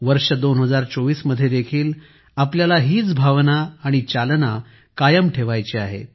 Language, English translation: Marathi, We have to maintain the same spirit and momentum in 2024 as well